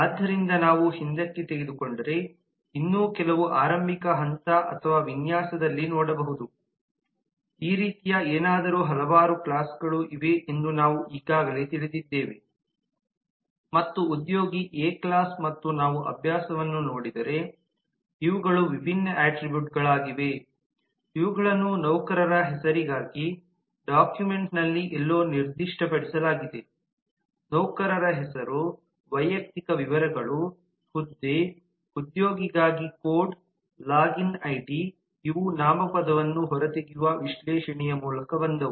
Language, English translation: Kannada, so with that if we take back then some more at a very early level or design could look something like this we know we already knew that there are several classes and employee is a class and if we look into the exercise these are different attributes which are specified somewhere in the document for an employee name, personal details, designation, employee code, login id these came up through the analysis of extraction of noun